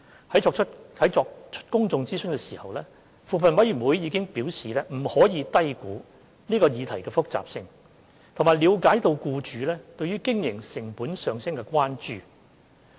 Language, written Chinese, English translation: Cantonese, 在作出公眾諮詢時，扶貧委員會已表示不可低估這項議題的複雜性，並了解僱主對經營成本上升的關注。, In conducting the public consultation CoP remarked that the complexity of the issue should not be underestimated and that it understood employers concern about rising operating costs